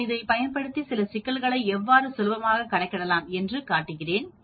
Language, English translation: Tamil, I am going to use this and we are going to, we can do some of the problems using this